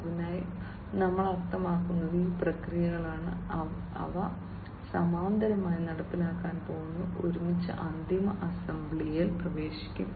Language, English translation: Malayalam, So, what we mean is these processes you know, they are going to be performed in parallel and together will get into the final assembly